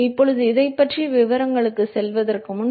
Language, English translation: Tamil, Now, before we going to the details of this